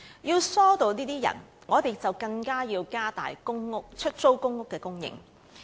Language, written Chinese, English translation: Cantonese, 要疏導這些輪候者，我們更應加大出租公屋的供應。, To ease this queue we should all the more increase the supply of PRH